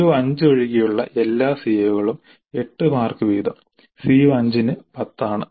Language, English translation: Malayalam, All the COs other than CO 5, 8 marks each then CO5 is 10